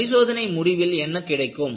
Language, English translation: Tamil, At the end of the test, what you get